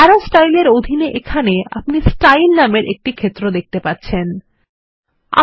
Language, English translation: Bengali, Here, under Arrow Styles you will see the field named Style